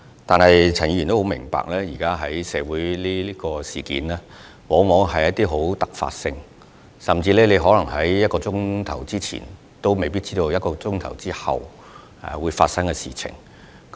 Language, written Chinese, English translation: Cantonese, 但是，陳議員亦須明白，現時社會發生的事件往往充滿突發性，甚至在1小時前也可能無法預知1小時後會發生甚麼事。, However Mr CHAN should also understand that recent happenings in our community are often so unpredictable that we cannot even predict what will happen one hour from now